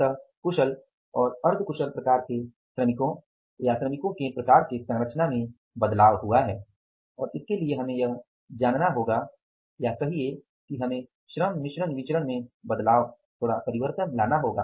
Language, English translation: Hindi, So, there is a change in the composition in the skilled and the semi skilled type of the labor or type of the workers and for that we will have to now say change the little change we will have to effect in the labor mix variance and the change in this formula will be what